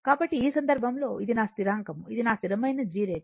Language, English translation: Telugu, So, in this case your this is my your constantthis is my constant G line